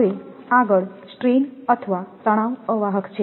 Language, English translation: Gujarati, So, next is the strain or tension insulators